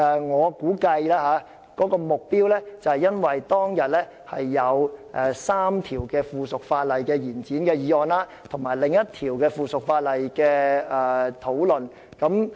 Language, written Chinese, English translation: Cantonese, 我估計，他們是針對當天有關3項延展附屬法例審議期的議案，以及另一項附屬法例的討論。, I guess their targets were the three motions for extending the scrutiny period of subsidiary legislation and the discussion of another piece of subsidiary legislation scheduled for that day